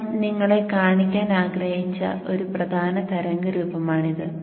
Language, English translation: Malayalam, So this is one important waveform which I wanted to show you